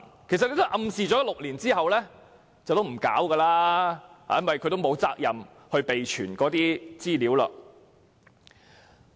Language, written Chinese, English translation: Cantonese, 其實，政府暗示罪行發生6年後不會再處理，因為機構並沒有責任備存資料超過6年。, In fact the Government has implied that it will take no action six years after the commission of the offence as institutions are not duty - bound to maintain the records for over six years